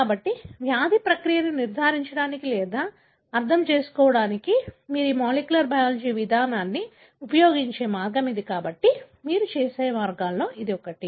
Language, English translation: Telugu, So, this is a way you use this molecular biology approach to even diagnose or to understand the disease process, right